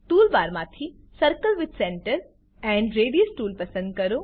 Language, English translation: Gujarati, Select the Circle with Center and Radius tool from tool bar